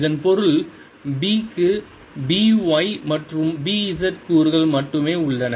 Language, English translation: Tamil, this also means that b has components b, y and b z only